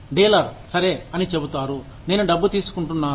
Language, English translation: Telugu, The dealer says, okay, I am getting the money